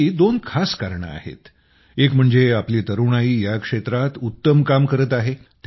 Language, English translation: Marathi, There are two special reasons for this one is that our youth are doing wonderful work in this field